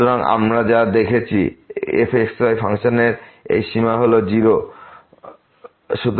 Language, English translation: Bengali, So, what we have seen that this 0 is the limit of this function